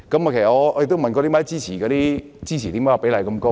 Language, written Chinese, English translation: Cantonese, 我亦問過他們為何支持的比例這麼高？, I have also asked them why the support rate is so high